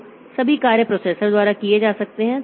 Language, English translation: Hindi, So, all tasks can be done by every processor